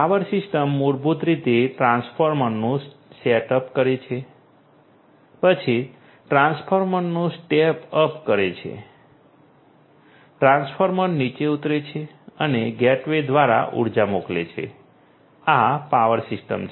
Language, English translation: Gujarati, Power system basically setting up of the transformer then stepping sorry stepping up of the transformer, stepping down of the transformer and sending the data sorry sending the energy through the gateway this is this power system